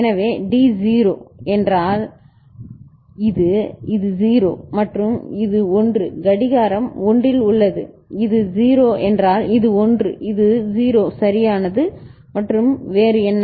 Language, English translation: Tamil, So, D was 0 means this is this was 0 and this is 1 clock is at 1, this is 0 means this was 1 this was 0 right and what else